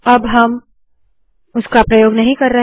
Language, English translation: Hindi, We are not using that anymore